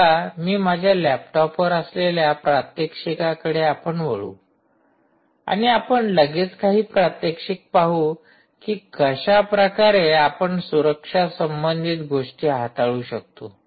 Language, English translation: Marathi, i will now shift to the demonstration mode on ah, my laptop, and we will see quickly several demonstrations on how we are able to handle set security related things